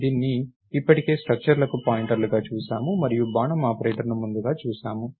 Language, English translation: Telugu, We already saw this as pointers to structures and we saw the arrow operator earlier